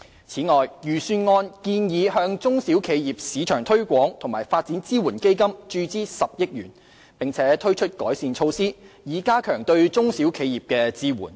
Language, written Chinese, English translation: Cantonese, 此外，預算案建議向"中小企業市場推廣和發展支援基金"注資10億元，並推出改善措施，以加強對中小企業的支援。, Furthermore in the Budget it is proposed that 1 billion will be injected into the SME Export Marketing and Development Funds and enhancement measures will be introduced to step up the support for SMEs